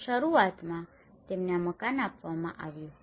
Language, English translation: Gujarati, Initially, they were given these house